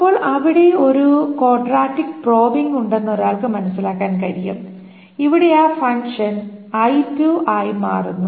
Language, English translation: Malayalam, Then one can understand there is a quadratic probing where this function changes to I square